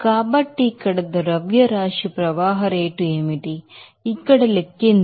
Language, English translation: Telugu, So, what is the mass flow rate here, let us calculate here